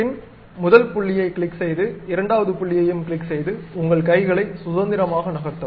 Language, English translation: Tamil, Click first point, then click second point, freely move your hands